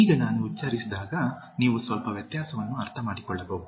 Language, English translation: Kannada, Now, when I pronounce, you can slightly understand the difference